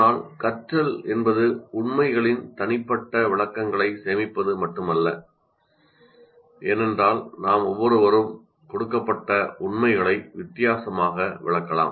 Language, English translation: Tamil, But learning involves not just storing personal interpretations of facts because each one of us may interpret a particular fact completely differently